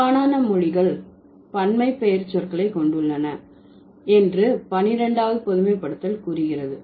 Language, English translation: Tamil, 12th generalization says, most languages have plural pronouns